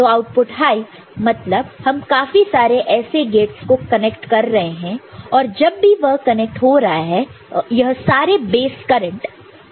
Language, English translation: Hindi, So, this output high we are connecting to many such gates right and, whenever it is connecting these are drawing base current right